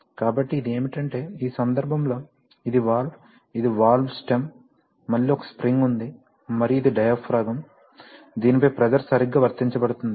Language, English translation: Telugu, So what it does is the following, so you see, that in this case, this is the valve right, this is the valve stem, again there is a spring and this is the diaphragm on which the pressure is being applied right